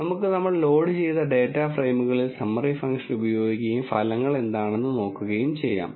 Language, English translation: Malayalam, Let us use the summary function on our data frames which we have loaded and see what the results are